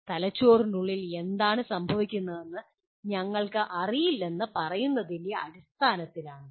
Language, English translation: Malayalam, It is based on saying that we do not know what exactly is happening inside the brain